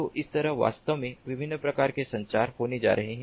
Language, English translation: Hindi, so like this, actually, ah, the different types of communication are going to take place